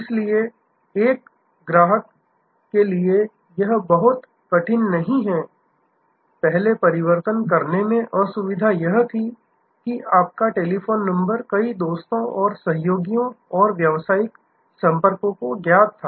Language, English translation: Hindi, So, it is not very difficult for a customer, earlier the inconvenience of switching was that your telephone number was known to many friends and associates and business contacts